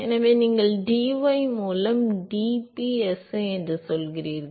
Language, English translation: Tamil, So, you say u is dpsi by dy